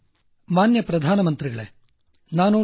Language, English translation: Kannada, "Respected Prime Minister Sir, I am Dr